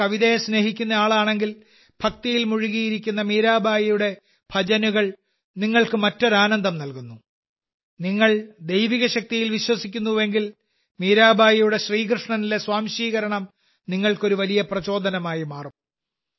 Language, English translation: Malayalam, If someone is interested in music, she is a great example of dedication towards music; if someone is a lover of poetry, Meerabai's bhajans, immersed in devotion, give one an entirely different joy; if someone believes in divine power, Mirabai's rapt absorption in Shri Krishna can become a great inspiration for that person